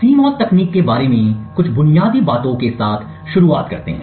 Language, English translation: Hindi, Just start out with some basic fundamentals about CMOS technology